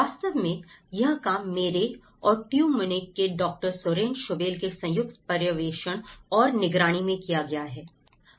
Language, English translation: Hindi, In fact, this work is actually has been supervised a joint supervision with myself and as well as Dr Soren Schobel from Tu Munich